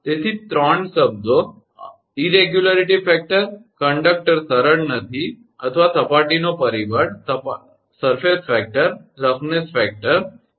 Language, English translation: Gujarati, So, three terms are there irregularity factor, is conductor is not smooth right or surface factor or roughness factor, right